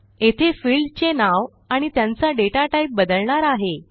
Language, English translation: Marathi, Here we can rename the fields and change their data types